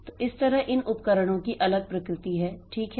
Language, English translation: Hindi, So, that way these devices they are of different nature